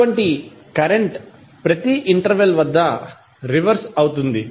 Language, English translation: Telugu, Such current reverses at every regular time interval